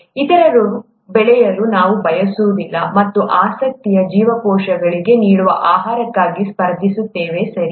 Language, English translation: Kannada, We do not want the others to grow, and compete for the food that is given to the cells of interest, okay